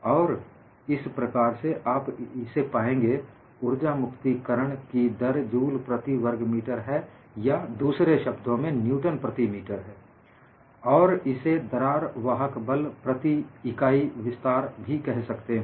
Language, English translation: Hindi, And the units for energy release rate is joules per meter squared, or in other words newton per meter, and this can also be called as crack driving force per unit extension